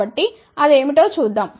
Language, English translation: Telugu, So, let us see what it is